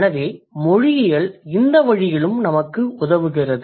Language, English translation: Tamil, So, linguistics helps us in this way too